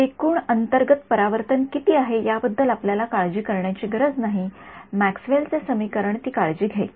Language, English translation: Marathi, We do not have to think worry about how much is undergoing total internal reflection the Maxwell’s equation will take care of it